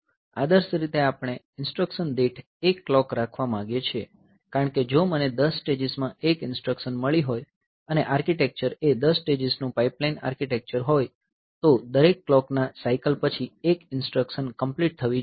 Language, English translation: Gujarati, So, you can you can execute more number of instruction ideally we would like to have one clock per instruction because if I have got one instruction taking say 10 stages and the architecture is a 10 stage pipelined architecture then after every clock cycle 1 instruction should be complete